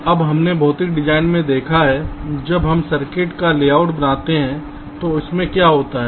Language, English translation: Hindi, now, we have seen in physical design, so when we create the layout of the circuit, what does it contain